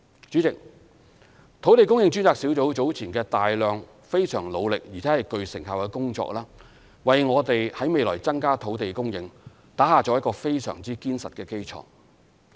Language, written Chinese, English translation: Cantonese, 主席，專責小組早前大量、非常努力且具成效的工作為我們未來增加土地供應打下了一個非常堅實的基礎。, President the intensive strenuous and fruitful efforts previously made by the Task Force have laid a most solid foundation for increasing our land supply in the future